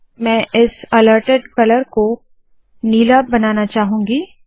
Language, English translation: Hindi, I want to make this alerted color blue